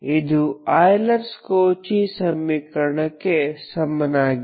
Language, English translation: Kannada, So this is on par with the Euler Cauchy equation